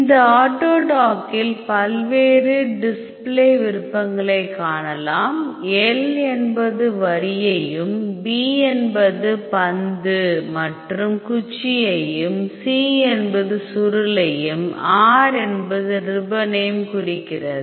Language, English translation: Tamil, In this auto dock we can see various or display options, L stands for line B stands for ball and stick C for coil and R stands for ribbon